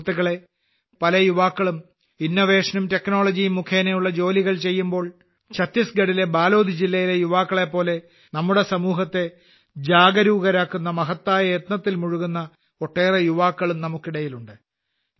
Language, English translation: Malayalam, Friends, if many youths are working through innovation and technology, there are many youths who are also engaged in the mission of making the society aware, like the youth of Balod district in Chhattisgarh